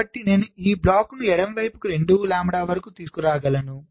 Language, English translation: Telugu, i can bring it to the left by, again, three lambda